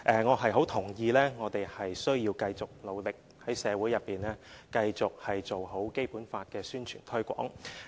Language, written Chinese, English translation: Cantonese, 我很認同我們須繼續努力，在社會內繼續做好《基本法》的宣傳推廣。, I very much agree that we have to make continuous efforts to publicize and promote the Basic Law in society on an ongoing basis